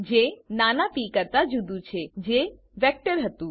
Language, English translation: Gujarati, Which is different from small p that was a vector